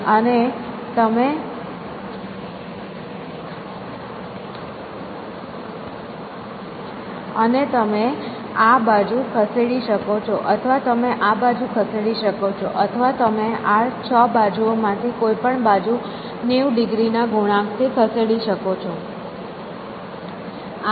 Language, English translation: Gujarati, And it is for this six faces and you can move this face or you can move this face or you can move any of this six faces by multiples of ninety degrees